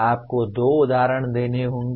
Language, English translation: Hindi, You are required to give two examples